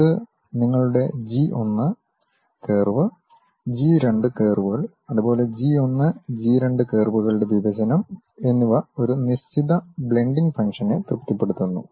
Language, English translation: Malayalam, It satisfies certain kind of relations like your G 1 curve, G 2 curves and the intersection of these G 1, G 2 curves supposed to satisfy a certain blending functions